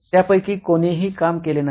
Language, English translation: Marathi, None of them worked